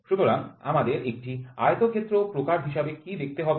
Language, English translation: Bengali, So, what we should view as a rectangle type